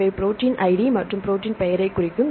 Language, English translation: Tamil, These are the protein id and this is the protein name